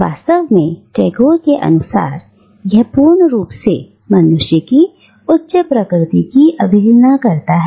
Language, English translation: Hindi, In fact, according to Tagore, it disregards completely the higher nature of a man